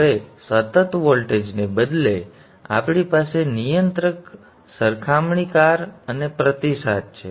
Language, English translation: Gujarati, Now instead of the constant voltage we are now having a controller, a comparator and the feedback